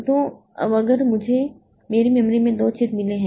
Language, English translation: Hindi, So, we have got these holes in the memory